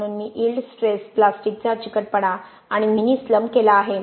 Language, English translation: Marathi, So I have done yield stress, plastic viscosity and mini slump